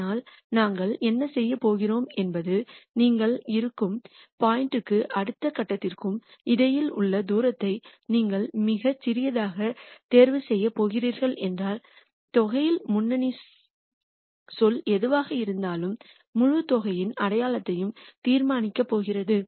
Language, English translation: Tamil, But what we are going to do is we are going to make the argument that if you make the distance between the point that you are at and the next point that you are going to choose very small, then whatever is the leading term in the sum is going to decide the sign of the whole sum